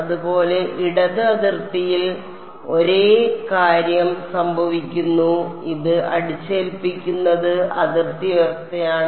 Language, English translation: Malayalam, Similarly, at the left boundary same thing is happening and imposing this is boundary condition